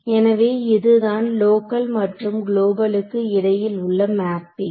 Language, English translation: Tamil, So, these are this mapping between local and global should be maintained ok